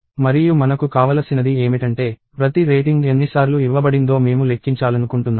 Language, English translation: Telugu, And what I want is I want to count the number of times each rating is given